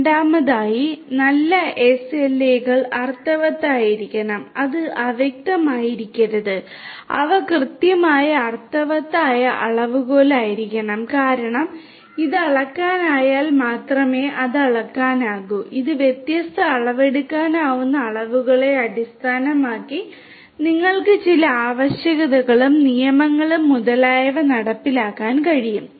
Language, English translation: Malayalam, Second is that the good SLAs should be meaningful right, it should not be vague it should be precise meaningful quantifiable because only if it is quantifiable then it can be measured and you can enforce certain requirements and legalities etc